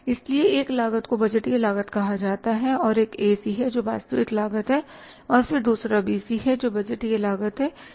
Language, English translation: Hindi, So, one cost is called as the budgeted cost and the one is AC and then other is the actual cost and then other is the BC that is the budgeted cost